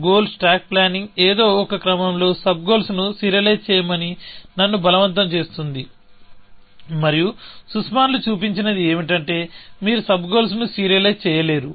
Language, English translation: Telugu, Goal stack planning is forcing me to serialize the sub goals in some order, and what sussmans showed was that you cannot serialize the sub